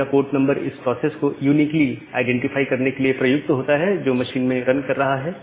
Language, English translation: Hindi, So, this port numbers are used to uniquely identify a process which is running inside a machine